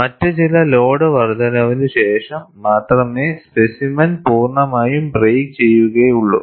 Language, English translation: Malayalam, Only after some other increase in load, the specimen will completely break